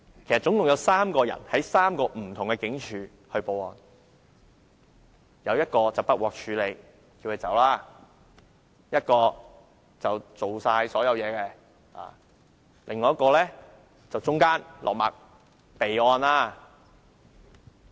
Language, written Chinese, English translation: Cantonese, 其實共有3個人向3個不同警署報案，一個不受理，叫報案者離開；另一個完成所有程序；最後一個中間落墨，即備案。, There were in fact three persons reporting the case to the Police each to a different station . One station refused to accept the case and turned the complainant away; another completed all the procedures while the third was somewhere in between by recording the case on file